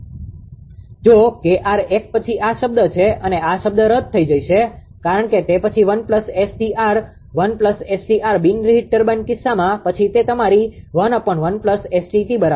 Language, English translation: Gujarati, If K r is 1 then this term and this term will be cancelled if K r is 1 because, it will be then 1 plus ST r 1 plus s T r in the case of non reheat turbine then it will be your 1 upon 1 plus ST t only right